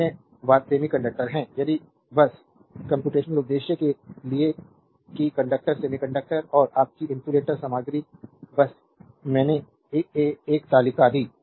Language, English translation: Hindi, Other thing are semiconductor if just for computational purpose that conductor semiconductor and your insulator material just I given a table